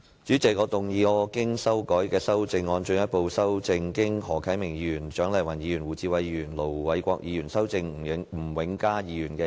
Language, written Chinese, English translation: Cantonese, 主席，我動議我經修改的修正案，進一步修正經何啟明議員、蔣麗芸議員、胡志偉議員及盧偉國議員修正的吳永嘉議員議案。, President I move that Mr Jimmy NGs motion as amended by Mr HO Kai - ming Dr CHIANG Lai - wan Mr WU Chi - wai and Ir Dr LO Wai - kwok be further amended by my revised amendment . I call on Members to support it